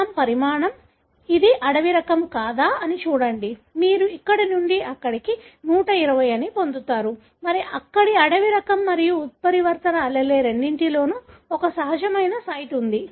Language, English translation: Telugu, Fragment size, see if it is a wild type, you will get, from here to here which is 120, and there is a natural site present here, both in wild type and the mutant allele